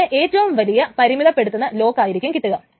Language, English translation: Malayalam, It will get the most restrictive lock